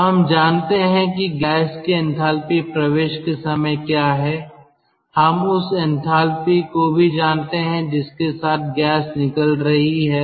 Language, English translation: Hindi, so we know the enthalpy with which the gas is entering, we know the enthalpy with which the gas is leaving